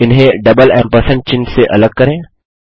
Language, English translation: Hindi, Separated these with a double ampersand sign